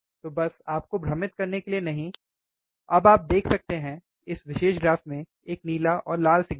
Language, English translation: Hindi, So, just not to confuse you, now you can see, in this particular graph, there is a blue and red signal right